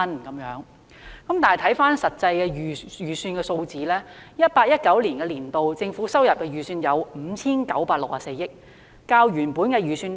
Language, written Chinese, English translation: Cantonese, 然而，看回實際的預算數字，在 2018-2019 年度，政府收入的預算為 5,964 億元，較原本的預算低。, However let us look at the actual estimates . In 2018 - 2019 the revised estimate of government revenue was 596.4 billion lower than the original estimate